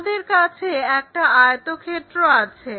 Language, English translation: Bengali, Let us look at a rectangle